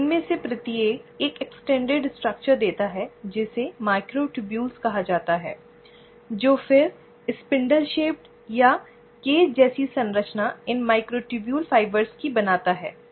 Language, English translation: Hindi, So each of these gives an extended structure which is called as the microtubules which then forms a spindle shaped, or a cage like structure of these microtubule fibres